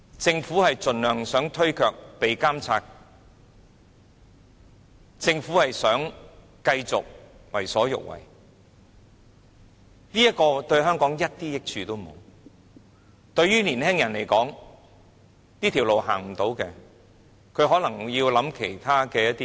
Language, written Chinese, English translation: Cantonese, 政府想盡量推卻監察，想繼續為所欲為，這對香港一點益處都沒有，對於年輕人來說，當這條路行不通，他們可能要想想其他的路。, The Government wants to evade monitoring by all means and it wants to keep on doing whatever it likes and this will not do any good to Hong Kong at all . To the young people when this road leads them nowhere they may have to think about other paths